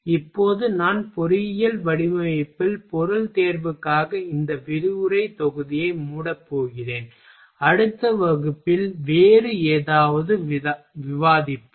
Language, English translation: Tamil, Now I am going to close this lecture module for material selection in engineering design and in next class we will discuss something else